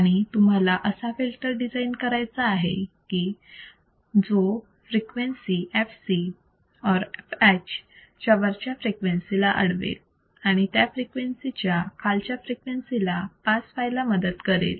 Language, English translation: Marathi, And then you have to design the filter such that above the frequency fc or fh, it will not allow the frequency to pass; only frequencies below this frequency will be allowed to pass